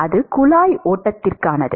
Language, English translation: Tamil, That is for pipe flow